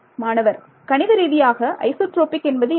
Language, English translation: Tamil, So, what is isotropic mathematically means isotropic means that